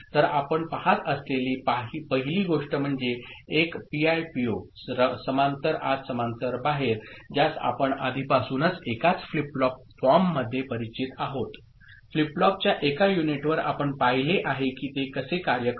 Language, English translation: Marathi, So, the first thing that we see is a PIPO, parallel in, parallel out which we are already familiar with in one single flip flop form, on one unit of flip flop that you have seen how it works